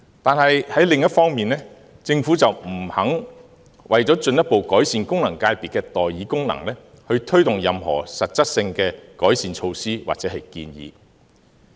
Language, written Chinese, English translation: Cantonese, 可是，另一方面，政府不肯為進一步改善功能界別的代議功能，推動任何實質性的改善措施或建議。, On the other hand the Government is unwilling to further enhance the function of representation of FCs or take forward any concrete improvement measures or proposals